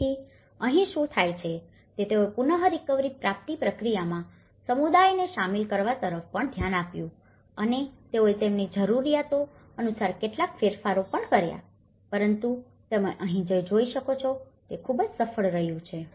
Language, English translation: Gujarati, So, here, what happens is they also looked at involving the community in the recovery process and they also made some modifications according to their needs but what you can see here is this has been very successful